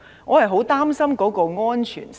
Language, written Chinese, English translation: Cantonese, 我是很擔心安全性的。, I am very concerned about safety